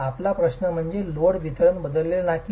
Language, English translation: Marathi, Your question is whether load distribution would be changed